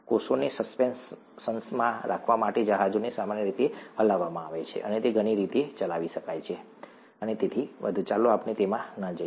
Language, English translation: Gujarati, The vessel is typically stirred to keep the cells in suspension, it could be operated in many ways and so on, let us not get into that